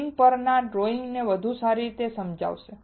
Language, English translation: Gujarati, The drawing on the screen would explain it better